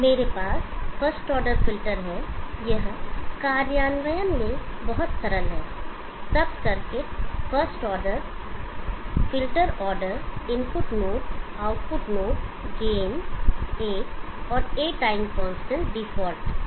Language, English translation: Hindi, I have a first order filter, it is very simple in implementation sub circuit first order, filter order 1 input node, output node, gain of one and A time constant default one